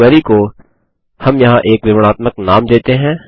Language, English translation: Hindi, Let us give a descriptive name to our query here